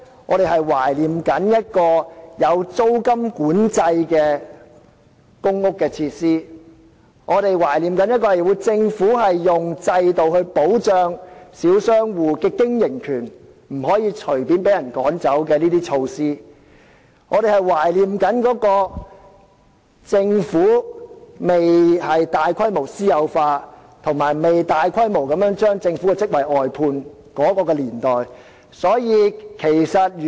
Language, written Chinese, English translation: Cantonese, 我們懷念的是有租金管制的公屋設施；我們懷念的是政府保障小商戶經營權的制度，令他們不會隨便被人趕走的措施；我們懷念的是公屋設施尚未大規模私有化，以及政府尚未大規模將其職位外判的年代。, We miss public housing facilities subject to rent control; we miss the system under which small shop operators were protected by the Government as well as the measures sparing them forced removal; we miss the era when large - scale privatization of public housing facilities had not yet taken place and we miss the era when the Government had not yet contracted out government posts on a large scale